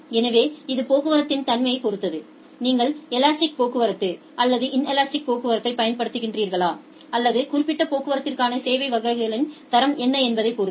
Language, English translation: Tamil, So, it depends on the nature of the traffic, whether you are using elastic traffic or inelastic traffic or what type of quality of service classes for that particular traffic has